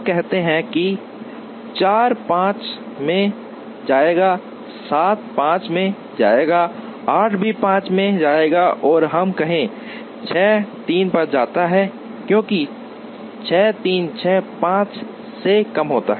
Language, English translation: Hindi, Let us say 4 will go to 5, 7 will go to 5, 8 will also go to 5 and let us say, 6 goes to 3, because 6 3 is lesser than 6 5